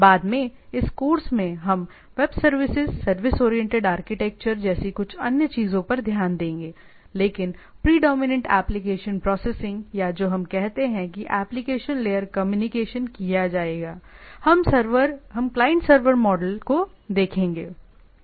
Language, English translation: Hindi, So, later on in this course, we will look at some other things like web services, service oriented architecture, but the predominant application layer processing or what we say application layer communication is will be done, we will be seeing the client server model